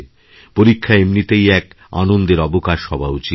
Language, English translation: Bengali, Exams in themselves, should be a joyous occasion